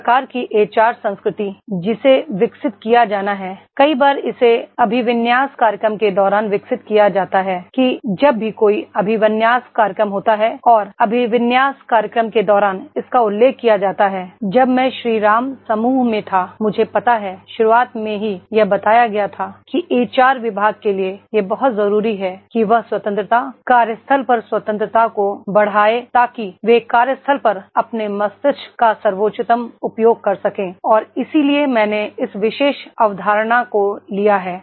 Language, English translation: Hindi, This type of the HR culture that has to be developed, many a times it is developed during the orientation program, that this is whenever there is an orientation program and during orientation program it has been mentioned when I was in the Shri Ram group I know that is in the beginning itself it was told that is it is very important for HR department to enhance the freedom, freedom at work so that they can make the best use of their brain at the workplace is there and that is why I have taken this particular concept, that is whenever we talk about the what assets do you have in an organization and then the importance are normally whenever we talk about the assets we talk about the budget